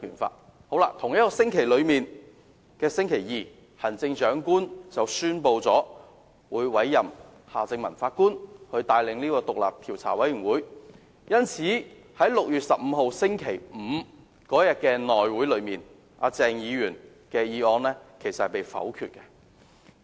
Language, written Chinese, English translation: Cantonese, 在同一個星期的星期二，行政長官宣布委任夏正民法官帶領獨立調查委員會，鄭議員的議案因而在6月15日的內務委員會會議上被否決。, On Tuesday of that week the Chief Executive announced the appointment of Mr Justice Michael John HARTMANN to lead the independent Commission of Inquiry . The motion of Dr CHENG was thus voted down at the meeting of the House Committee held on 15 June Friday